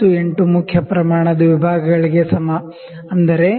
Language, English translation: Kannada, 98 main scale divisions is equal to 0